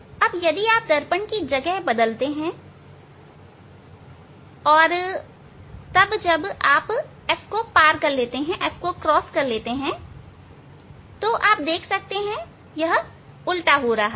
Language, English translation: Hindi, Now, if you change the position of the lens and then when you will cross the f ok, so then you will see that is becoming inverted